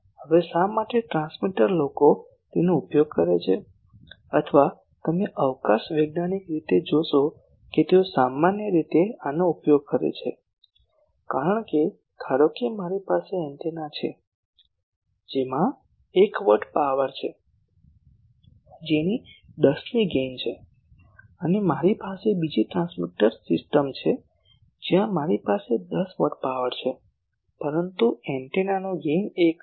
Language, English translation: Gujarati, Now why transmitter people use it or you will see the space scientist they generally use this, because suppose I have an antenna with 1 watt power and gain of 10 and another transmitter system I have; where I have 10 watt power, but gain of the antenna is 1